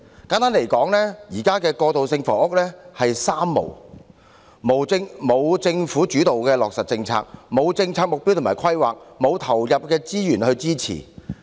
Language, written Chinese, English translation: Cantonese, 簡單而言，現時過渡性房屋處於"三無"狀態：無政府主導落實的政策、無政策目標及規劃、無投放資源去支持。, In brief there are three nos in this transitional housing issue policy implementation not led by the Government no policy objectives and planning and no input of resources to support the issue